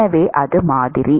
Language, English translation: Tamil, So, that is the model